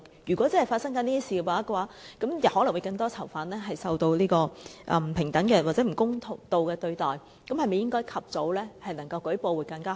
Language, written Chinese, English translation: Cantonese, 如果真的有發生這些事情，可能會有更多囚犯受不平等或不公道的對待，那麼及早舉報會否更好？, Suppose the allegations are true it means that other prisoners may also be subject to unequal or unfair treatment then is it not better for them to report the cases earlier?